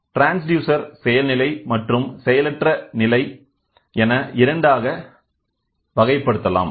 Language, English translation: Tamil, Transducers can also be classified into two which can be active or passive